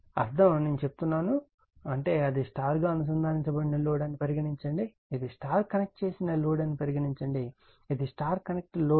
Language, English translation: Telugu, The meaning is one I am telling, suppose this is your star connected load right, suppose this is your star connected load, this is your star connected load right